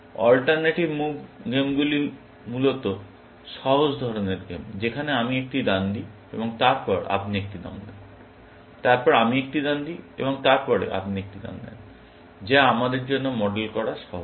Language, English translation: Bengali, Alternate move games are essentially, the simpler kind of games in which, I make a move and then, you make a move, then, I make a move and then, you make a move, which are easier to model for us, essentially